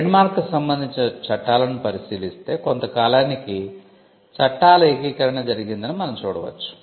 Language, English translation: Telugu, If we look at the laws pertaining to trademarks, we can see a consolidation of laws happening over a period of time